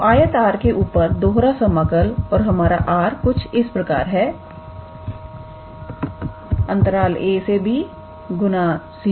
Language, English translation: Hindi, So, double integral on the rectangle R and R is our a to b times c to d